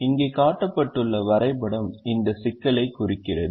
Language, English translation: Tamil, the graph or the network that is shown here represents the problem